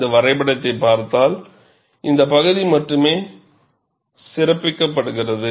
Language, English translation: Tamil, And if you look at this graph, only this portion is highlighted